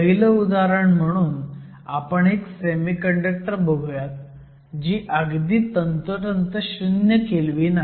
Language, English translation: Marathi, So, the first case, let us look at a semiconductor at exactly 0 Kelvin